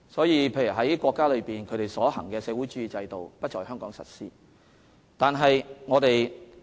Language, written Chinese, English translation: Cantonese, 因此，國家所推行的社會主義制度不會在香港實施。, For this reason the socialist system instituted in the Country will not be implemented in Hong Kong